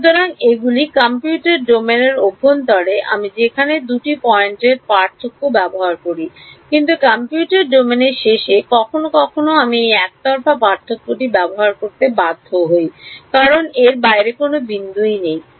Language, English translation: Bengali, So, these inside the computational domain everywhere I use centered two point difference, but I am forced to use this one sided differences sometimes at the end of the computational domain because there is no point outside